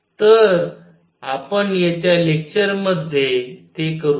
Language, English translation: Marathi, So, we will do that in coming lectures